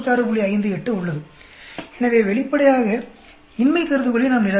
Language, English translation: Tamil, 58; so obviously, we reject the null hypothesis